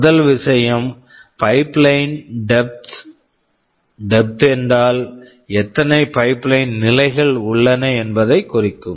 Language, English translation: Tamil, First thing is pipeline depth; depth means how many stages of the pipeline are there